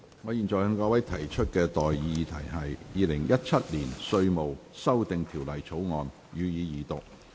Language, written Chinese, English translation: Cantonese, 我現在向各位提出的待議議題是：《2017年稅務條例草案》，予以二讀。, I now propose the question to you and that is That the Inland Revenue Amendment Bill 2017 be read the Second time